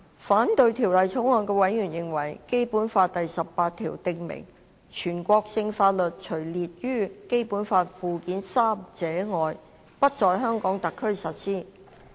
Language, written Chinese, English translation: Cantonese, 反對《條例草案》的委員認為，《基本法》第十八條訂明，全國性法律除列於《基本法》附件三者外，不在香港特區實施。, Members who oppose the Bill hold the view that Article 18 of the Basic Law stipulates that national laws shall not be applied in HKSAR except for those listed in Annex III to the Basic Law